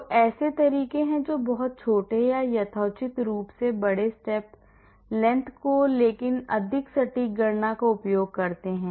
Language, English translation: Hindi, So, there are methods which use reasonably small or reasonably big step length but more accurate calculations